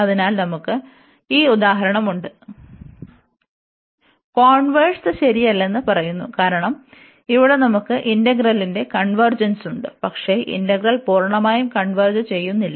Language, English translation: Malayalam, So, we have this example, which says that the converse is not true, because here we have the convergence of the integral, but the integral does not converge absolutely